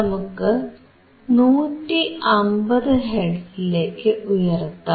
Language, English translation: Malayalam, Let us increase to 150 Hz